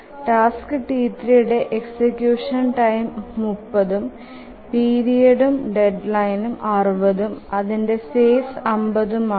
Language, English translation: Malayalam, And task T3, the execution time is 30, the period and deadline are both 80 and the phase is 50